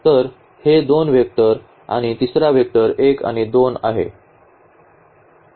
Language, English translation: Marathi, So, these two vectors so, these two vectors and the third vector is 1 and 2